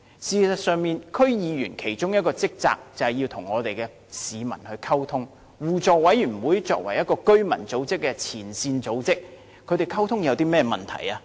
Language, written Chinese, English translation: Cantonese, 事實上，區議員的其中一項職責，就是與市民溝通，而互委會作為前線居民組織，他們互相溝通有甚麼問題？, As a matter of fact one of the duties of DC members is to communicate with members of the public . As mutual aid committees are frontline residents organizations what problem is there with their communication with each other?